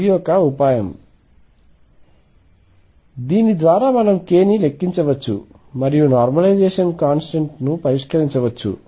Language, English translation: Telugu, This is a trick through which we count case we can enumerate k and we can also fix the normalization constant